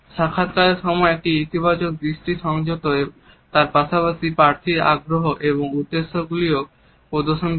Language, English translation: Bengali, A positive eye contact during interviews exhibits honesty as well as interest and intentions of the candidate